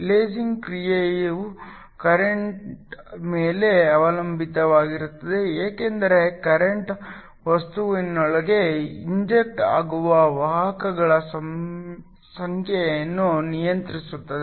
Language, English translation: Kannada, The lasing action depends upon the current because the current controls the number of carriers that are injected into the material